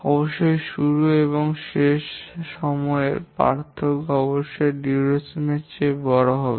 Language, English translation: Bengali, Of course, the start and end time difference must be larger than the duration